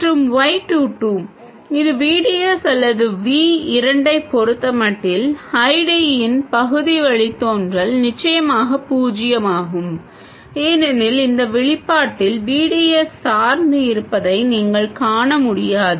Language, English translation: Tamil, And Y2 which is the partial derivative of ID with respect to VDS or V2, is of course 0 because you can see no dependence on VDS in this expression